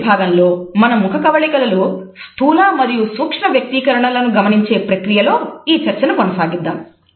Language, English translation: Telugu, In our next module we would continue this discussion by looking at micro and macro expressions on our facial features